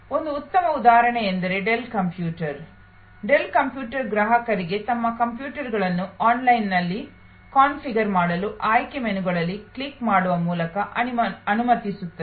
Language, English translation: Kannada, A great example is Dell computer, Dell computer allowed customers to configure their computers online by clicking on selection menus